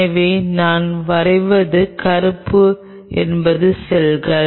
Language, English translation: Tamil, So, the black what I am drawing is the cells